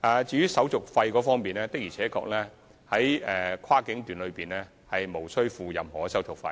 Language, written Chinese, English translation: Cantonese, 至於手續費方面，在跨境段無需支付任何手續費。, As for service fees no such fees will be charged for the purchase of cross - boundary tickets